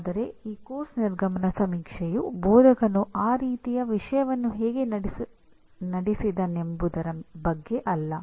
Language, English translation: Kannada, But this course exit survey is not about the instructor, how he conducted that kind of thing